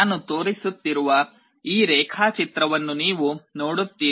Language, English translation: Kannada, You see this diagram that I am showing